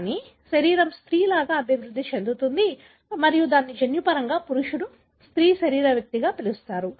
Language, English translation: Telugu, So, the body would develop as a female and that is called as, genetically male female bodied individual